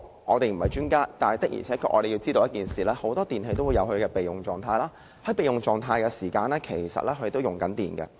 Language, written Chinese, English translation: Cantonese, 我們不是專家，但我們確實知道很多電器也有備用狀態功能，在使用備用狀態時，其實也在耗電。, We are not experts but we do know that many electrical appliances have standby mode and electricity is still consumed when not in use